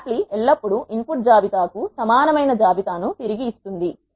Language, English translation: Telugu, Lapply will always return a list which is of the same length as the input list